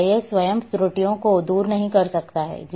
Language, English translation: Hindi, GIS cannot remove errors by itself